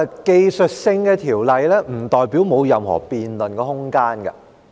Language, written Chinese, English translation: Cantonese, 技術性的條例，不代表沒有任何辯論的空間。, The technical nature of this ordinance does not imply that there is no room for debate